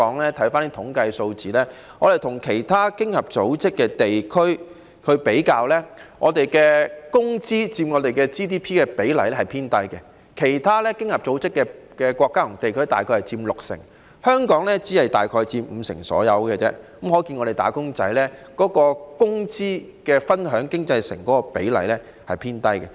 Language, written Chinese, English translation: Cantonese, 因為有關的統計數字顯示，與其他經合組織國家和地區比較，香港的工資佔 GDP 的比例偏低，其他經合組織國家和地區約佔六成，而香港只是約佔五成，可見香港"打工仔"能夠分享經濟成果的比例偏低。, Relevant statistics showed that as compared with other Organisation for Economic Co - operation and Development OECD countries and regions the share of wage in GDP is relatively lower in Hong Kong . While the share of wage in other OECD countries and regions is around 60 % in GDP it is only around 50 % in Hong Kong . It can be seen that a smaller proportion of wage earners in Hong Kong can share the economic results